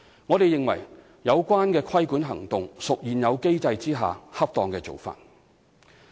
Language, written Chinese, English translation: Cantonese, 我們認為有關規管行動屬現有機制下的恰當做法。, We consider the regulating action appropriate under the current mechanism